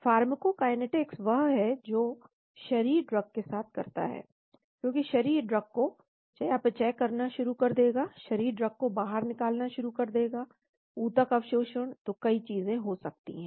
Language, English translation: Hindi, Pharmacokinetics is what the body does to the drug, because the body will start to metabolizing the drug, the body will start excreting the drug, tissue absorption, so many things can happen